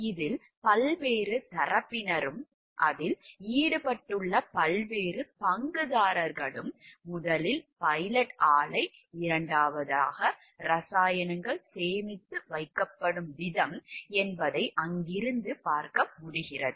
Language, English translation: Tamil, What we can see from there are different parties involved in it, different stakeholders involved in it, and first is like the pilot plant, second is the way that the chemicals are stored